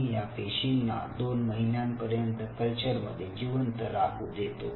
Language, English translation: Marathi, so we allow these cells to survive in a culture for two months, first of all